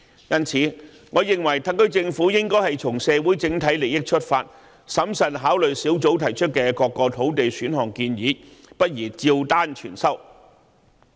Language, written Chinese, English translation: Cantonese, 因此，我認為特區政府應從社會整體利益出發，審慎考慮專責小組提出的各個土地選項建議，不宜照單全收。, Hence I think the Special Administrative Region SAR Government should prudently consider various land supply options recommended by the Task Force from the overall interest of society . It is inappropriate to accept all of them in entirety